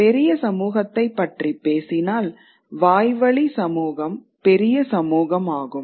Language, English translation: Tamil, But speaking of larger community we can talk about oral communities